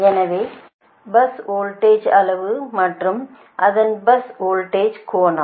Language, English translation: Tamil, so in terms of bus voltage, magnitude and its bus voltage angle, also right